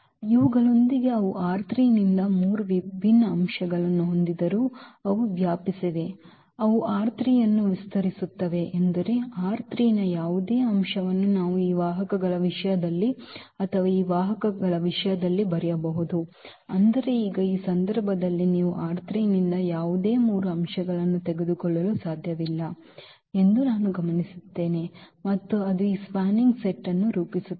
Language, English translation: Kannada, So, with these though they have the three different elements from R 3, they span; they span R 3 means any element of R 3 we can write down in terms of these vectors or in terms of these vectors, but now in this case what we will observe that this is not possible that you take any three elements from R 3 and that will form this spanning set